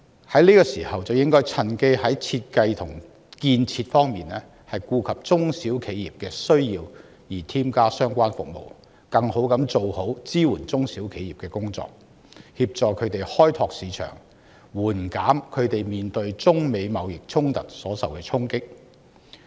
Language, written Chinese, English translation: Cantonese, 在這個時候，政府應該趁機在設計和建設方面顧及中小企的需要，添加相關服務，更妥善地做好支援中小企的工作，協助他們開拓市場，緩減他們面對中美貿易衝突所受到的衝擊。, In this process the Government should take into account the needs of SMEs in the design and building of such infrastructures and add in relevant services to better support SMEs in opening up markets and minimize the impacts of China - United States trade conflicts on SMEs